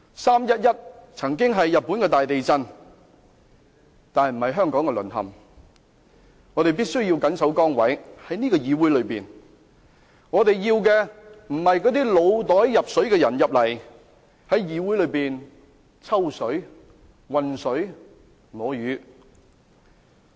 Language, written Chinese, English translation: Cantonese, "三一一"曾是日本大地震，不是香港淪陷，我們必須緊守崗位，在這個議會內，我們要的不是那些腦袋入水的人在議會內"抽水"、渾水摸魚。, It will not be the date that marks the fall of Hong Kong . We must stand fast on our positions . We do not want any new Council Members who would fish in troubled waters